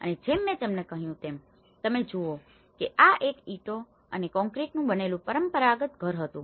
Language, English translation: Gujarati, And as I said to you if you see this was a traditional house with a brick and concrete house